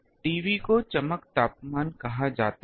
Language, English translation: Hindi, T B is called brightness temperature